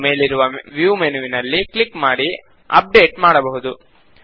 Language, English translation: Kannada, We can also click on the View menu at the top and choose Update